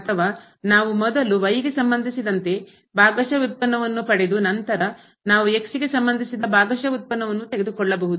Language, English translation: Kannada, Or we can have like first the partial derivative with respect to and then we take the partial derivative with respect to